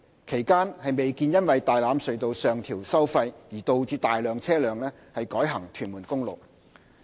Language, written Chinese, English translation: Cantonese, 其間，未見因為大欖隧道上調收費而導致大量車輛改行屯門公路。, It is not apparent that toll increases at Tai Lam Tunnel during that period had caused any significant diversion of vehicles to Tuen Mun Road